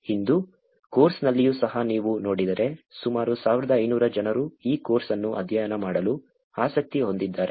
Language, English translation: Kannada, Today, even in the course if you see there are about 1500 people interested in studying this course